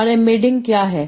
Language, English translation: Hindi, And what is the embedding